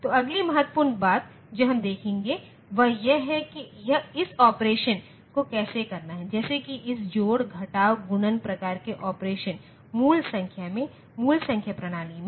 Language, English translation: Hindi, So, the next important thing that we will look into is how to do this operation, like how to do this addition, subtraction, multiplication type of operation in basic number in basic number systems